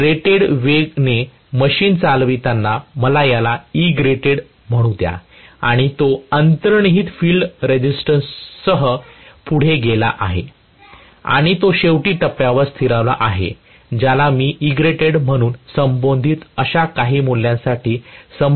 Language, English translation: Marathi, So, let me call this as Egrated when I am driving the machine at rated speed and it have gone on with inherent field resistance and it has finally settled at the point which is corresponding to some value Eg which I call as Egrated